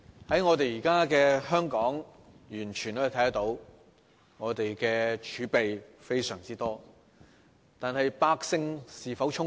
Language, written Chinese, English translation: Cantonese, 在現今的香港，完全可以看到府庫充盈，我們的儲備非常多，但百姓是否充足？, In todays Hong Kong we can definitely see that the Governments coffers are overflowing and our reserves are enormous but do the masses have sufficient resources?